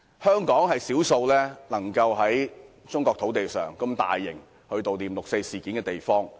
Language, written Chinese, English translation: Cantonese, 香港是少數可以在中國土地上，舉行如此大型悼念六四活動的地方。, Hong Kong is one of the few places on Chinese soil where such a large - scale activity to commemorate the 4 June incident can be held